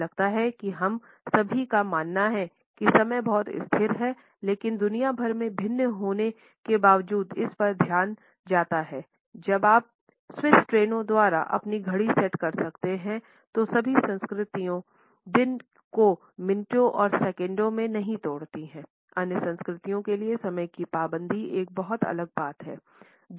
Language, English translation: Hindi, I guess we all believe that time is pretty constant, but around the world attitudes to it differ greatly, while you can set your watch by Swiss trains not all cultures break the day down into minutes and seconds for other cultures punctuality is a very different matter